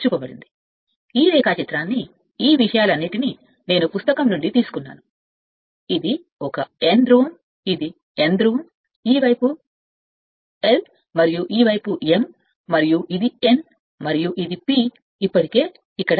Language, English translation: Telugu, In this case although diagram I have taken these all these things I have taken from book right, but this is a N pole, this is N pole, this side is l, and this side is m right and this is your N and this is your P already marked here